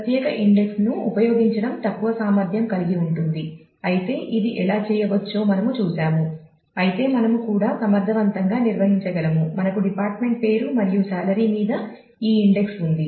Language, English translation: Telugu, So, using separate index is less efficient though we saw how that can be done, but we can also efficiently handle if we have this indexing on department name and salary